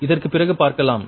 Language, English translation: Tamil, that we will see after this